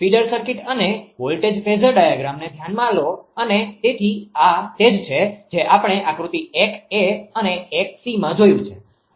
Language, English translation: Gujarati, So, consider the feeder circuit and voltage feeder diagram and so, this is this this we have seen figure 1 a and c right